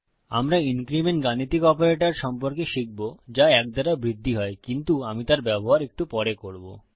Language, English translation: Bengali, Well learn about the increment arithmetic operator which increments by 1 but Ill use that a little later